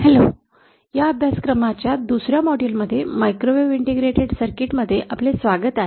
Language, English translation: Marathi, Hello welcome to another module of this course, microwave integrated circuits